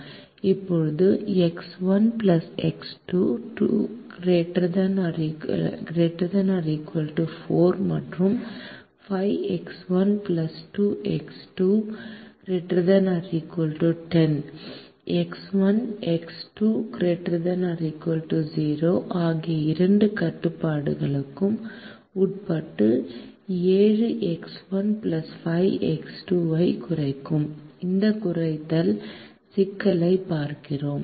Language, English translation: Tamil, now we look at this minimization problem, which minimizes seven x one plus five x two, subject to two constraints: x one plus x two greater than or equal to four, and five x one plus two x two greater than or equal to ten x one x two greater than or equal to zero